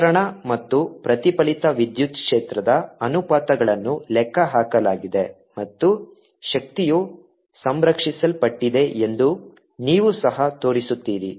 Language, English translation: Kannada, the ratios of transmitted and ah reflected electric field have been calculated and you also shown through those that energy is reconserved